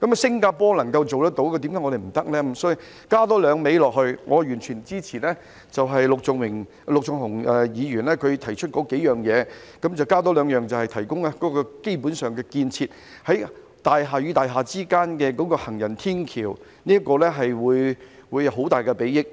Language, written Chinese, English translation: Cantonese, 因此，我想多加"兩味"，我完全支持陸頌雄議員提出的幾項要點，但我想多加兩項，便是提供基本建設，在大廈與大廈之間興建行人天橋，這個會有很大裨益。, Therefore I would like to add more two flavors . I fully support the points proposed by Mr LUK Chung - hung but I would like to add two more that is to provide infrastructure and build footbridges among buildings . These will be of great benefit